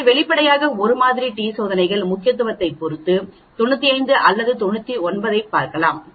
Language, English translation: Tamil, So obviously, it is 1 sample t tests, we can look at 95 or 99 depending upon the importance